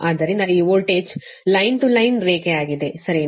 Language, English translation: Kannada, so this voltage is line to line, right